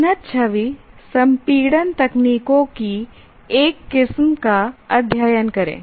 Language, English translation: Hindi, Study a variety of advanced image compression techniques